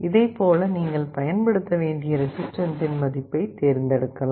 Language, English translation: Tamil, Like this you can select the value of the resistance to be used